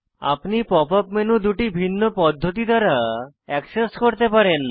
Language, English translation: Bengali, You can access the pop up menu by two different methods